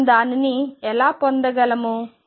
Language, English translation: Telugu, How do we get that